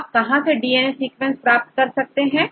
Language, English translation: Hindi, Where you can get the DNA sequences